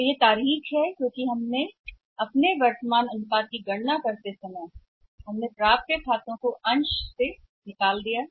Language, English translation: Hindi, So, this is ther way out so why we have done is that while calculating the current ratio now accounts receivables are removed from the numerator